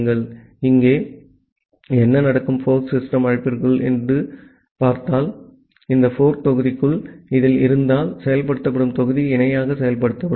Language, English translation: Tamil, Now, what will happen here that whatever is there inside the fork system call, inside this fork block in this if block that will executed get executed in parallel